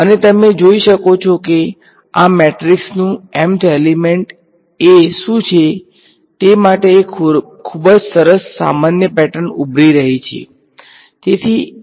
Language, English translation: Gujarati, And you can see there is a very nice general pattern that is emerging for what is the m n element of this matrix is a